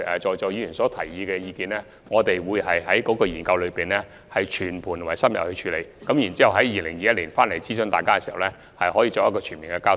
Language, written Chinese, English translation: Cantonese, 就議員提出的意見，我們會在研究中全盤而深入地處理，在2021年諮詢議員，並作全面交代。, The views expressed by Members will be addressed in a comprehensive and thorough manner in our study and in 2021 Members will be consulted and given detailed explanations